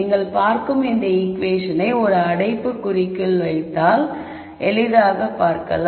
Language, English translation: Tamil, So, this equation you would see is if you put this in a bracket and you will see this easily